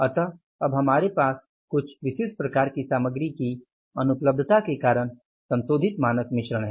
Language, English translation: Hindi, So, we have revised the standard because of the non availability of the certain type of the materials